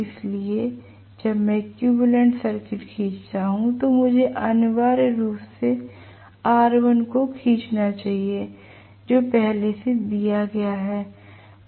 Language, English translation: Hindi, So, when I draw the equivalent circuit I should essentially draw r1 which is already given